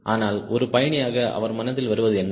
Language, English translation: Tamil, but for a passenger, what comes to his mind the moment